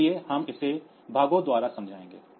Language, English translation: Hindi, we will explain it by parts